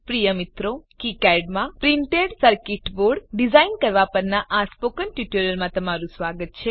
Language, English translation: Gujarati, Dear Friends, Welcome to the spoken tutorial on Designing printed circuit board in KiCad